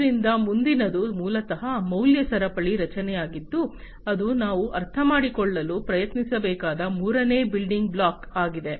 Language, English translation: Kannada, So, next one is basically the value chain structure that is the third building block that we should try to understand